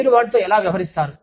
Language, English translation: Telugu, How do you deal with it